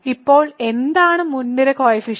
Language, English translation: Malayalam, So, what is the leading coefficient